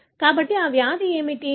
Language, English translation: Telugu, So, what is this disease